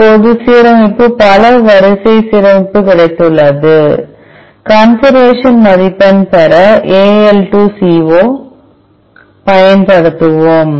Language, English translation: Tamil, Now, we have got the alignment multiple sequence alignment, we will use AL2CO AL2CO to obtain the conservation score